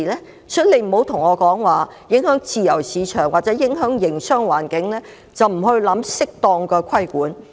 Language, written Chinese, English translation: Cantonese, 因此，司長不要對我說，因為會影響自由市場或營商環境，便不去考慮施加適當的規管。, Therefore the Chief Secretary should not tell me that the imposition of proper regulation will not be considered for fear that it will undermine the free market or the business environment